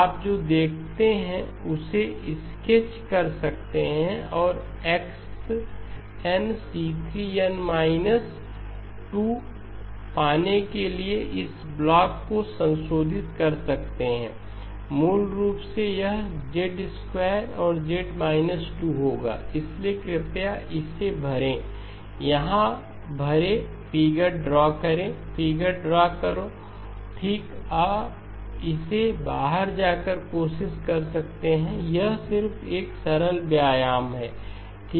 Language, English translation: Hindi, So it is basically a different subsample sequence c3 of n minus 1 and you can sketch what that looks like and also you can modify this block to get x of n c3 of n minus 2, basically it will be Z squared and Z minus 2 to get the, so please fill in this, fill in this draw the figure, draw the figure, okay, you can try it out, that is just a simple exercise